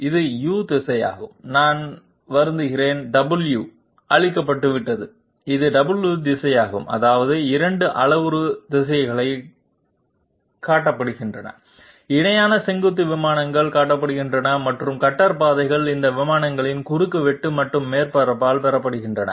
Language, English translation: Tamil, This is the U direction I am sorry the W has got obliterated, this is the W direction that means the 2 parametric directions are shown, the parallel vertical planes are shown and the cutter paths are obtained by the intersection of these planes and the surface